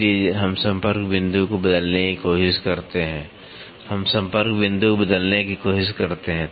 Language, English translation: Hindi, So, we try to change the contacting point, we try to change the contacting point